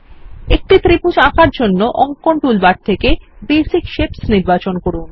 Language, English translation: Bengali, To draw a triangle, select Basic shapes from the Drawing toolbar